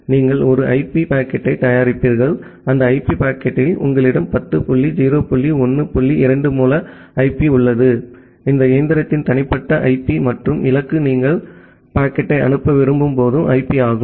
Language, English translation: Tamil, You would prepare an IP packet and in that IP packet you have the source IP of 10 dot 0 dot 1 dot 2 the private IP of this machine and the destination is the public IP where you want to send the packet